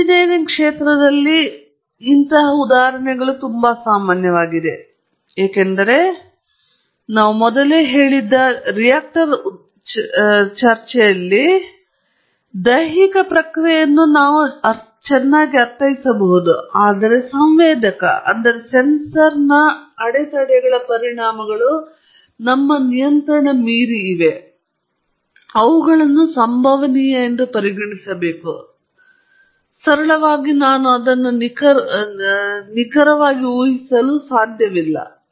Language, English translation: Kannada, And that is very common in engineering arena because a physical process may be well understood, like in the reactor example that we discussed earlier, but the sensor or some effects of unmeasured disturbances, something that’s beyond my control, those have to be treated as stochastic simply because I can not predict them accurately